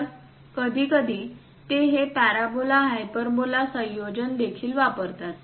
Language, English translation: Marathi, So, occasionally they use this parabola hyperbola combinations also